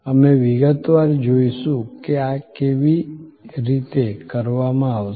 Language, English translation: Gujarati, We will see in detail how these will be done